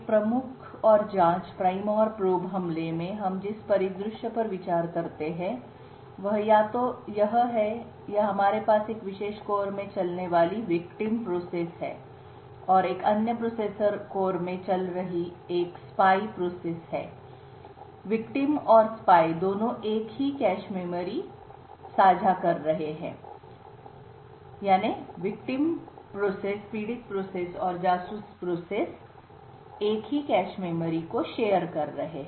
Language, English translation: Hindi, In a prime and probe attack the scenario we are considering is either this or this or we have a victim process running in a particular core and a spy process running in another processor core, the both the victim and spy are sharing the same cache memory